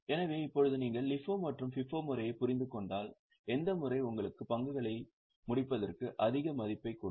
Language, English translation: Tamil, So now if you have understood understood LIFO and FIFO method, which method will give you more value of closing stock